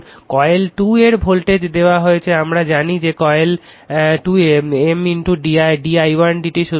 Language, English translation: Bengali, Now voltage of coil 2 is given by, we know that in coil 2 M into d i 1 upon d t